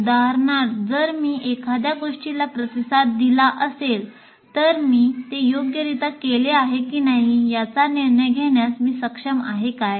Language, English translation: Marathi, For example, if I have responded to something, am I able to make a judgment whether I have done it correctly or not